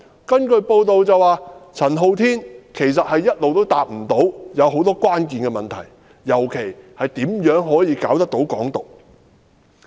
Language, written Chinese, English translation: Cantonese, 根據報道，陳浩天無法回答很多關鍵問題，尤其是如何可以成功搞"港獨"。, It was reported that Andy CHAN had failed to answer a number of critical questions especially how to successfully pursue Hong Kong independence